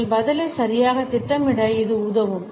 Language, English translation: Tamil, It can help us in planning our answer properly